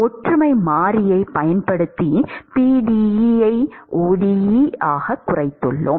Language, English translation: Tamil, We have reduced the pde into ode by using a similarity variable